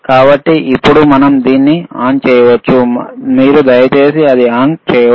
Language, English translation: Telugu, So now, we can we can switch it on, can you please switch it on